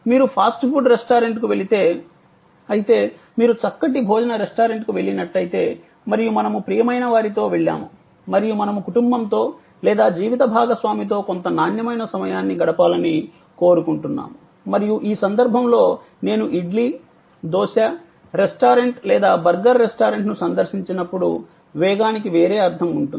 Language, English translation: Telugu, If you go to a fast food restaurant, but of course, if you have go to gone to a fine dining restaurant and we have gone with somebody near and dear and we would like to spend some quality time with the family or with my spouse and so on and in that case the speed will have a different meaning then when I visited idly, dosa restaurant or a burger restaurant